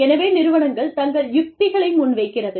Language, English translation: Tamil, So, organizations come up with their strategies